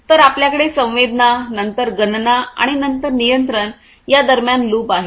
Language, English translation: Marathi, So, you have a loop between sensing then computation and then control